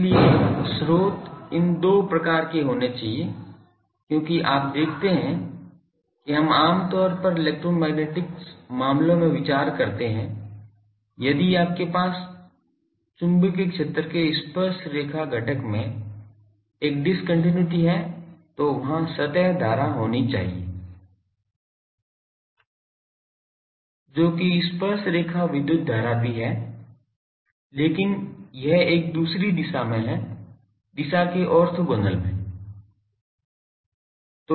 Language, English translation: Hindi, So, sources should be of these 2 type because you see we generally considered in the electromagnetic cases; that if you have a discontinuity in the tangential component of the magnetic field there should be a surface current, which is also tangential electric current, but it is in a another direction orthogonal to the in direction so that is here